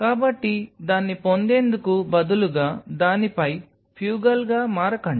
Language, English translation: Telugu, So, do not become fugal on it instead just get it